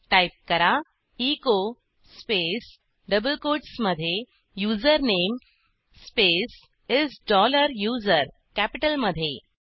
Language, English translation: Marathi, Now type echo space within double quotes Username space is dollar USER in capitals